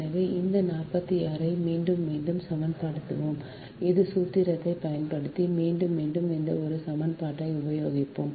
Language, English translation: Tamil, so, using that same formula, that equation, this forty six, again and again, we will use this one right, use this equation again and again